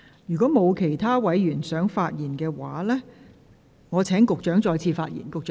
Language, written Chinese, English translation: Cantonese, 如果沒有其他委員想發言，我現在請局長再次發言。, If no other Member wishes to speak I now call upon the Secretary to speak again